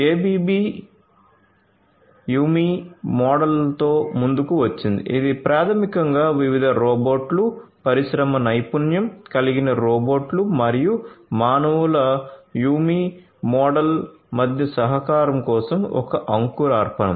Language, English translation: Telugu, ABB came up with the YuMi model which is basically an initiative for collaboration between different robots industry skilled robots and the humans YuMi model